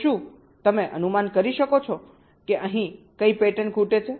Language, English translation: Gujarati, so can you guess which pattern is missing here